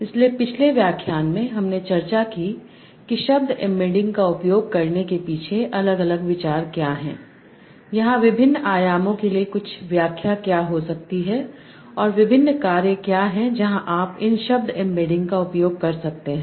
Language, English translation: Hindi, So in the last lecture we discussed the what is the different ideas behind using word embeddings, what can be some interpretation given to the different dimensions here, and what are different tasks where you can use these word embeddings